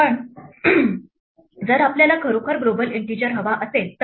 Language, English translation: Marathi, But, what if we actually want a global integer